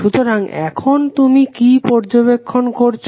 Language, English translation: Bengali, So, now what you will observe